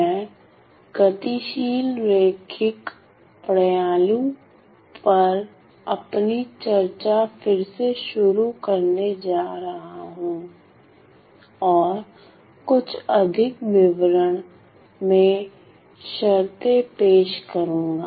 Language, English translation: Hindi, So, I am going to revisit I am going to revisit my discussion on dynamic linear systems and introduced some more terms in greater details ok